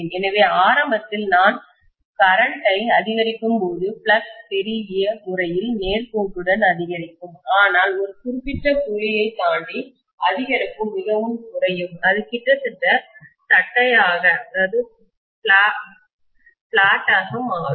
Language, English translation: Tamil, So initially, I may say that as I increase the current, the flux is increasingly linearly, but beyond a particular point, the increase will become you know less and less and it will become almost flat, right